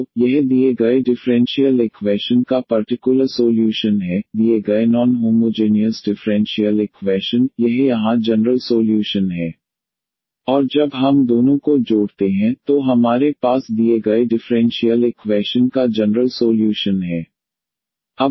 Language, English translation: Hindi, So, this is the particular solution of the given differential equation, the given non homogeneous differential equation, this is the general solution here and when we add the two, so we have this the general solution of the given differential equation